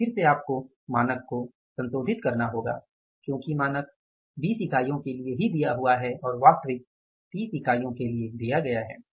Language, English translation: Hindi, So, again you have to revise the standard because standard you are given for 20 units and actually is given for 30 units